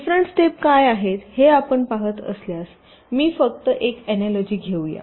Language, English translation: Marathi, if you see what are the different steps, let me just carry an analogy